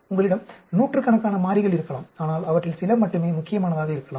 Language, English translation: Tamil, You may have hundreds of variables, but only few of them may be important